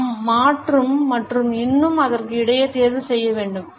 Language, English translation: Tamil, We have to choose between change and more of the same